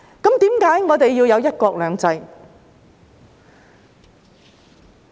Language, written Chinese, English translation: Cantonese, 為何我們要有"一國兩制"？, Why do we need one country two systems?